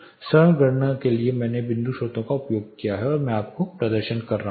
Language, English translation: Hindi, For simple calculation I have used point sources and I have been demonstrating you